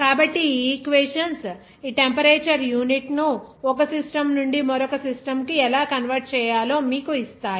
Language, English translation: Telugu, So, these equations will give you how to convert this temperature unit from one system to another system